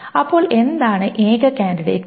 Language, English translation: Malayalam, So what is the only candidate key